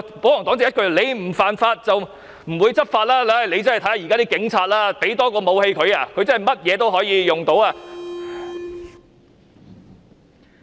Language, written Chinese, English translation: Cantonese, 保皇黨一句"你不犯法，就不會執法"，但現時的警察，多給他們一件武器，他們甚麼都可以用得着。, The royalists simply claim that law enforcement actions will not be taken if you do not break the law but policemen nowadays will use any additional weapon that is given to them